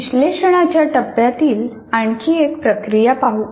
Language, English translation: Marathi, Now let us look at another issue, another process in analysis phase